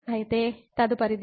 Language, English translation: Telugu, So, the next